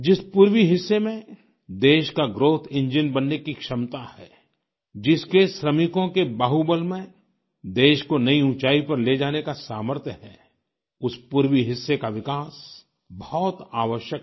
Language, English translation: Hindi, The very region which possesses the capacity to be the country's growth engine, whose workforce possesses the capability and the might to take the country to greater heights…the eastern region needs development